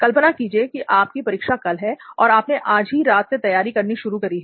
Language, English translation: Hindi, Imagine you have an examination the next day and just previous night you are starting your preparation